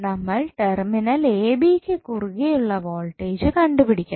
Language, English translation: Malayalam, We have to find out the voltage across terminal a and b